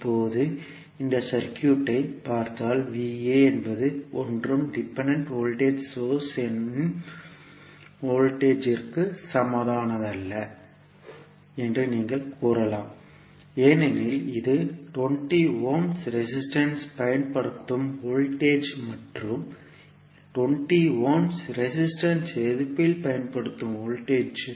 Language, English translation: Tamil, Now, if you see this particular circuit you can say that V a is nothing but equal to voltage the of dependent voltage source because this is the voltage which is applied across the 20 ohms resistance and the voltage which is applied across 20 ohms resistance is nothing but V a